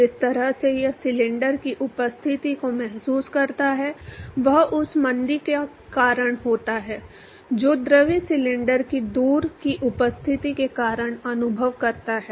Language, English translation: Hindi, The only way it feels the presence of the cylinder is because of the deceleration that the fluid experiences because of the presence of the cylinder far away